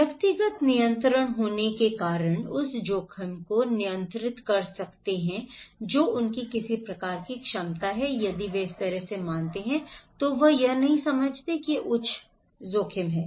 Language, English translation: Hindi, Having personal control, that they can control the risk they have some kind of capacity if they perceived this way, then they don’t consider this is a high risk